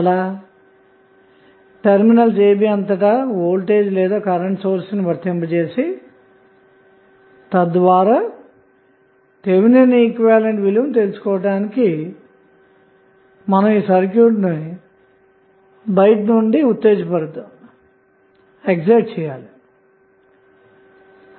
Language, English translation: Telugu, Then we have to apply either the voltage or the current source across the a and b terminals so that we can excite this circuit from outside to find out the value of Thevenin equivalent